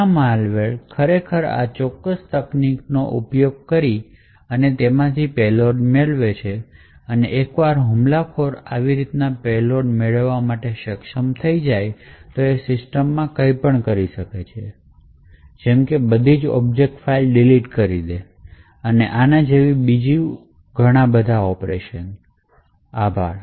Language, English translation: Gujarati, So many of the malware actually use this particular technique they obtain a payload and once an attacker is able to obtain such a payload, he can do anything in the system like example delete all the object files like this and so on